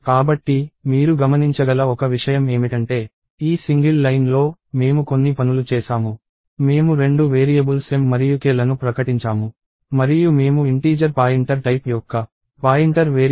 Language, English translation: Telugu, So, one thing you can notice is that in this single line, we have done a few things, we have declared and initialized two variables m and k, we have also declared a pointer variable of integer pointer type